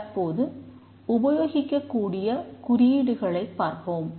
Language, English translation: Tamil, Now let's look at the symbols that are used